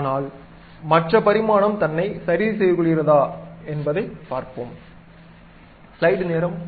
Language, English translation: Tamil, But let us try whether really the dimension takes care or not